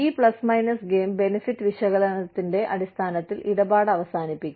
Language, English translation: Malayalam, Based on this, plus minus cost benefit analysis, the deal will be done